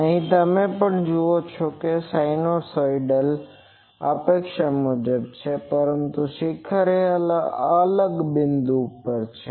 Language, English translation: Gujarati, Here also you see that sinusoidal is as expected, but the peak is at a different point